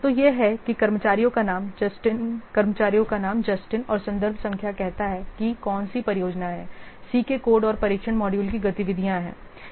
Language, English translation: Hindi, So it's so that the name of the staff, so Justin and the reference number which project activities for code and test module of C